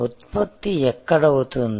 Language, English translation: Telugu, So, where is the product